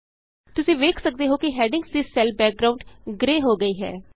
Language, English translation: Punjabi, You can see that the cell background for the headings turns grey